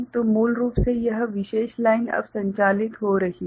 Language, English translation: Hindi, So, basically this particular line will be now operating